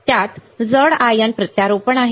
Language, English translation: Marathi, It has heavy ion implants right